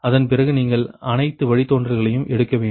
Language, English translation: Tamil, then what you will do after that, you have to take all the derivatives, right